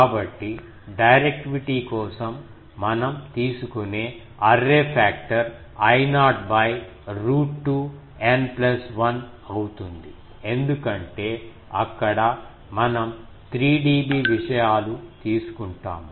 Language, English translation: Telugu, So, for directivity we take the array factor will be root 2 n plus 1 because there we take 3 dB things